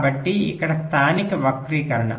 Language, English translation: Telugu, so this is local skew